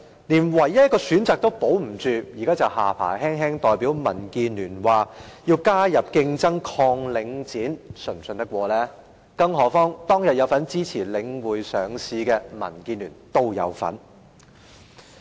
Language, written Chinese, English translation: Cantonese, 連唯一一個選擇也保不住，現在卻信口胡謅，代表民建聯說要引入競爭，對抗領展房地產投資信託基金，是否可信呢？, He could not even preserve the peoples only choice but now he wags his tongue and speaks on behalf of DAB about the need to introduce competition to fight against Link Real Estate Investment Trust Link REIT . Is that credible?